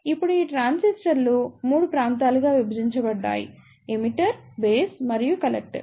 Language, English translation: Telugu, Now these transistors are divided into 3 regions; Emitter, Base and the Collector